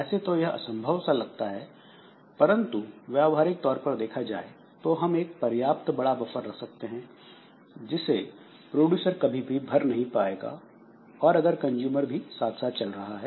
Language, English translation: Hindi, So, though it appears to be impossible, but for all practical purposes, so we can put a sufficiently large buffer so that this producer will never be able to fill up this buffer if the consumer is also running